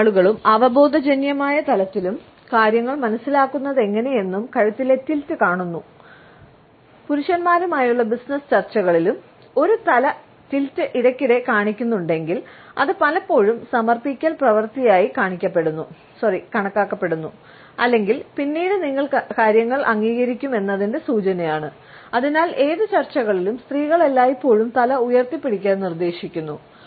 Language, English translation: Malayalam, Our neck tilt also shows how most people understand things on an intuitive level and in a business negotiations with men, if a head tilt is shown very often, it is often considered to be an act of submission or an indication that things would be sooner or later accepted by you and therefore, women are often advised to particularly keep their head up and straight in all times during any negotiations